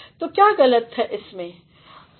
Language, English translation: Hindi, So, what is wrong here